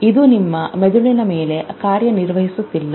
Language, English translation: Kannada, It is not acting on your brain